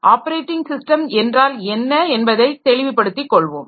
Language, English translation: Tamil, Then we have got the operating system operations